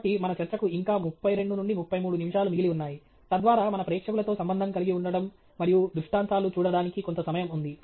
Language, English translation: Telugu, So, we still have about 32 to 33 minutes left on our talk, so that gives us fair bit of time to look at connecting with our audience and illustrations okay